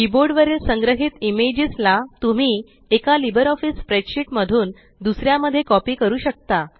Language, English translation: Marathi, One can copy images stored on the clipboard, from one LibreOffice spreadsheet to another